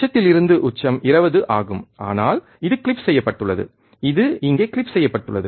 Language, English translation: Tamil, Peak to peak is 20, but this is clipped it is clipped here